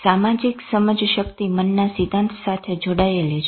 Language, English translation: Gujarati, Social cognition is connected to theory of mind